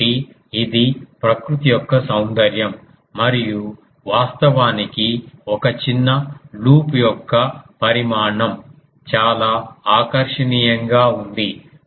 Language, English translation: Telugu, So, that is the beauty of nature ah and actually the size of a small loop was quite attractive